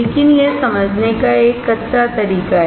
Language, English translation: Hindi, But this is just a crude way of understanding